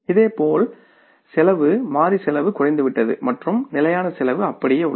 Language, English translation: Tamil, Similarly the cost variable cost has come down and the fixed cost remaining the same